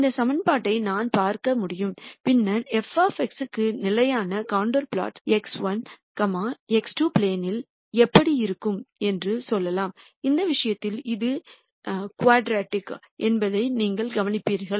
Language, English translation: Tamil, Then I can look at this equation and then say how would this constant contour plot for f of X look in the x 1, x 2 plane and you would notice that this is quadratic in this case